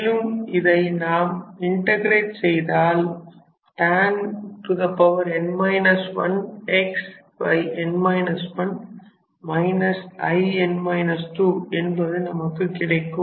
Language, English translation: Tamil, And, we integrate and then this will become tan to the power n minus one x by n minus 1 minus I n minus 2